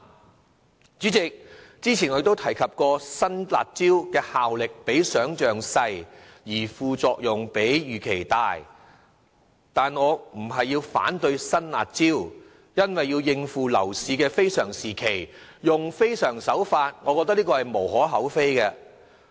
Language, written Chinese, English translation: Cantonese, 代理主席，之前我亦曾提及新"辣招"的效力比想象小，而副作用卻比預期大，但我不是要反對實施新"辣招"，因為要應付樓市的非常情況，使用非常手法實屬無可厚非。, Deputy President I have mentioned earlier that the new harsh measures are less effective than expected but the side effects caused are more significant than imagined but I am not objecting to the implementation of these new harsh measures because it should give no cause for criticisms if extraordinary measures have to be taken under exceptional circumstances to deal with the overheated property market